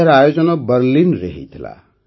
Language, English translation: Odia, It was organized in Berlin